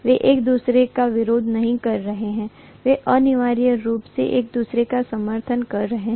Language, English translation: Hindi, They are not opposing each other, they are essentially aiding each other